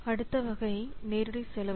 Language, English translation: Tamil, Next category is direct and cost